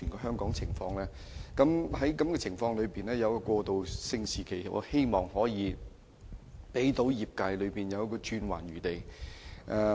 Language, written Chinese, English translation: Cantonese, 在這情況下，我希望政府可訂立一個過渡期，讓業界有轉圜餘地。, In this circumstance I hope the Government can set a transition period to give the industry leeway